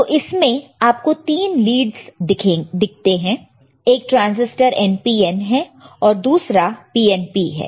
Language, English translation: Hindi, So, you can see there are three leads right, one transistor is NPN another one is PNP, right